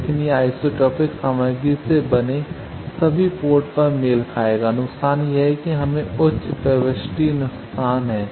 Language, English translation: Hindi, But it will match at all ports made of isotropic material the disadvantage is we have high insertion loss